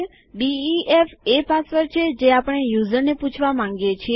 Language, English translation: Gujarati, def is the password we want to ask the user for